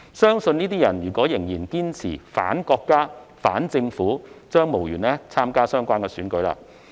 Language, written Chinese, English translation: Cantonese, 如果這些人仍然堅持"反國家"、"反政府"，相信將無緣參加相關選舉。, If these people insist on their anti - China and anti - government stance it will be unlikely for them to run for the said elections